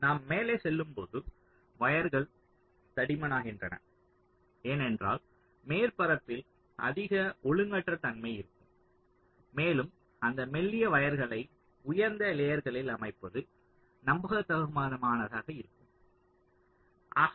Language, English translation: Tamil, so as we go up, move up, the wires tend to become thicker because there will be more irregularity in the surfaces and laying out those thin wires on the higher layers will be not that reliable